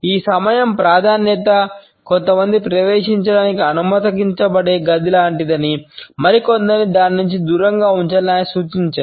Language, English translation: Telugu, He has suggested that this time preference is like a room in which some people are allowed to enter while others are kept out of it